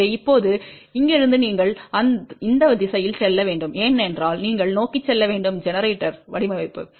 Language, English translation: Tamil, So, now, from here you have to move in this direction ok because you have to move towards the generator design